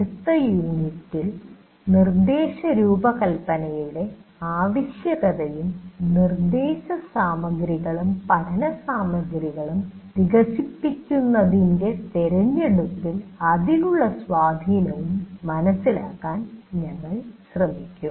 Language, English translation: Malayalam, And in the next unit, we will try to understand the need for instruction design and the influence of its choice and developing the instruction material and learning material